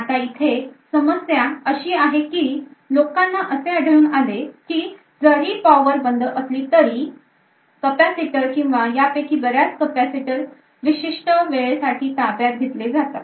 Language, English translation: Marathi, Now the problem here is that people have found that even when the power is turned off the state of this capacitors or many of these capacitors is still detained for certain amount of time